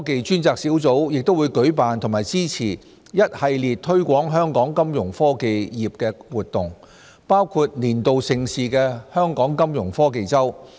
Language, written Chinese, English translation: Cantonese, 專責小組亦會舉辦和支持一系列推廣香港金融科技業的活動，包括年度盛事香港金融科技周。, It also organizes and supports a wide range of activities including the annual event Hong Kong Fintech Week to promote our Fintech industry